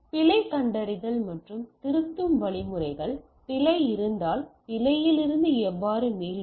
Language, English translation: Tamil, Error detection and correction mechanisms, if there is error how do we recover from the error